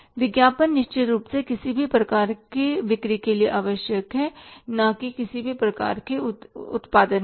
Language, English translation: Hindi, Advertising certainly it is required for the sales, not for any kind of the production